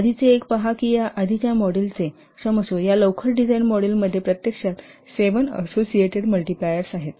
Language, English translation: Marathi, See in the earlier one was that E or this earlier model, sorry, in this early design model, actually there are seven associated multipliers